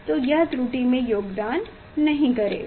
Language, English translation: Hindi, it will not contribute in the error